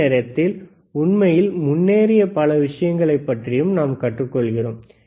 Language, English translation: Tamil, At the the same time, we will see lot of things which are really advanced right